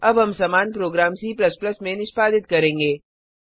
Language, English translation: Hindi, Yes,it is working Now we will execute the same program in C++